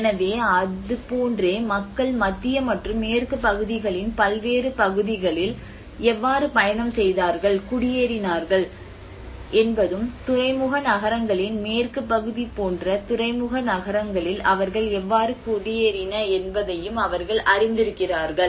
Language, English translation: Tamil, So, like that there has been a network how people have traveled and migrated and settled in different parts of central and the western part of India and also their expansion in the port cities like you know on the western side of the port cities how they have settled down